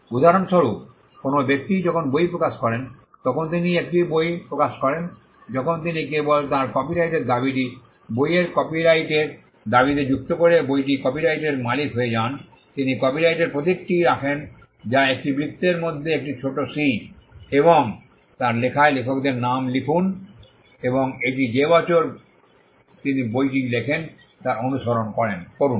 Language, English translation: Bengali, For instance a person publishes the book when he publishes a book he becomes the copyright owner of the book by a mere act of adding the copyright claim on his book he just puts the copyright symbol which is a small c within a circle © and writes his name the authors name and followed its by the year in which he writes the book